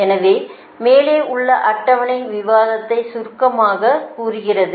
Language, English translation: Tamil, therefore, the following table summarizes the above discussion, right